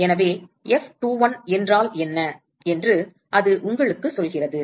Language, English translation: Tamil, So, that tells you what is F21